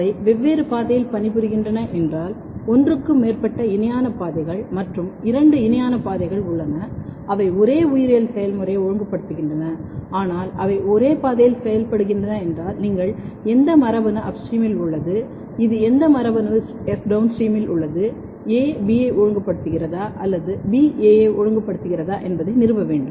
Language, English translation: Tamil, When we are analysing whether they are working in the same pathway or different pathway, if they are working in the different pathway then then it means be that both there are more than one parallel pathways going on and both the parallel pathways they are regulating the same biological process, but if they are working in the same pathway then you have to establish which gene is upstream which gene is downstream is A regulating B or B regulating A